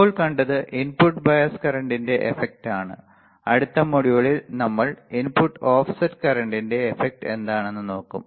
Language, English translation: Malayalam, So, right now what we have seen effect of input bias current next module let us see what is the effect of input offset current